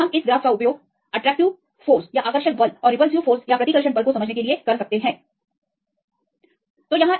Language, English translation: Hindi, So we can use this graph to explain the attractive force and repulsive force; as well as net force